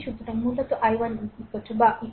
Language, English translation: Bengali, So, then what will be i 1